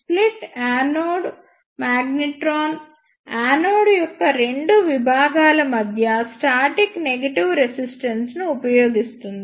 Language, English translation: Telugu, The split anode magnetron use static negative resistance between two segments of the anode